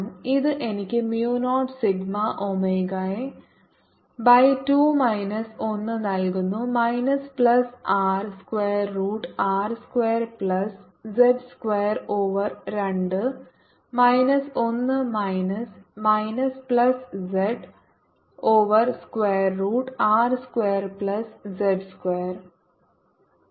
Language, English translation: Malayalam, so this is equal to mu zero sigma omega by two z over square root of r square plus z square to one d x, one over x square minus one